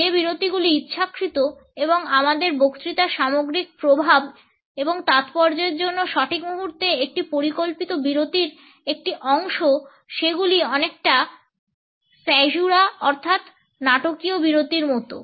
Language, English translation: Bengali, The pauses which are intentional and are a part of a planned pause at the right moment at to the overall impact and significance of our speech they are very much like the dramatic pauses like caesura